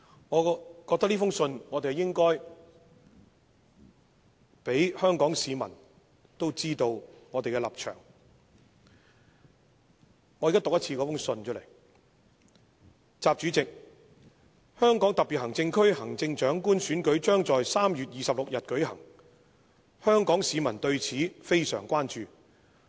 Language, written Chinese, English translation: Cantonese, 我認為應讓香港市民知道我們的立場，現在讓我將該信讀出："習主席：香港特別行政區行政長官選舉將在3月26日舉行，香港市民對此非常關注。, I think we should let all people in Hong Kong know our stance . Now let me read out the letter President XI the election of the Chief Executive of the Hong Kong SAR will be conducted on 26 March . People of Hong Kong are highly concerned about it